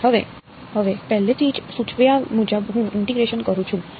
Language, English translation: Gujarati, And now as already been suggested I integrate right